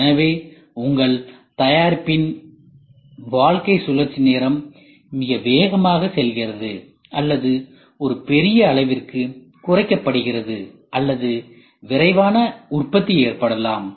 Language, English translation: Tamil, So, your product life cycle time goes very fast or it is reduced to a large extents or rapid manufacturing can happen